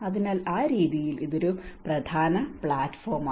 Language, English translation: Malayalam, So, in that way this is one of the important platform